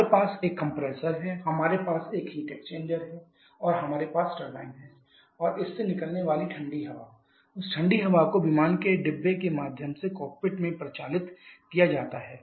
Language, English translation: Hindi, We have a compressor we have the heat exchanger and you have the turbine and the cold air that is coming out of this that cold air is circulated through the aircraft compartment to the cockpit